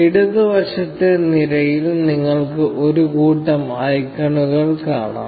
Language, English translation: Malayalam, You can see a bunch of icons in the left hand side column